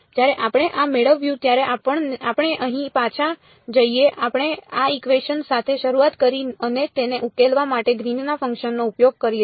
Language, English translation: Gujarati, When we derived this let us go back over here we started with this equation and use the Green's function to solve it